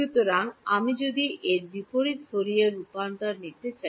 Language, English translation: Bengali, So, if I want to take the inverse Fourier transform of this